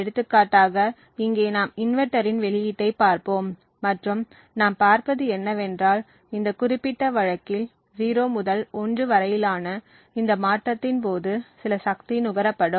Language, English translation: Tamil, So, for example over here we will look at the output of the inverter and what we see is that during this transition from 0 to 1 in this particular case there is some power that gets consumed